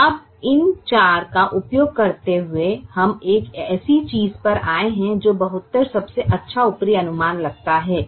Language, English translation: Hindi, so now, using these four, we have come to a thing that seventy two looks the best upper estimate